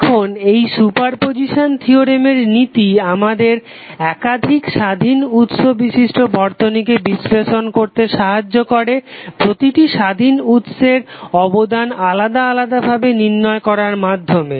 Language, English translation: Bengali, Now this principle of super position theorem helps us to analyze a linear circuit with more than one independent source by calculating the contribution of each independent source separately